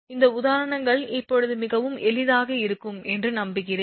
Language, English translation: Tamil, I hope these examples are easier quite easier now